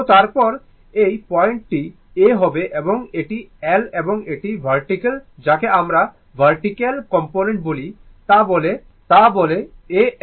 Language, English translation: Bengali, So, anywhere this point is A and this is L right and this is the vertical, your what you call vertical component say A N